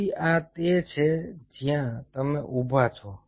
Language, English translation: Gujarati, so this is where you are standing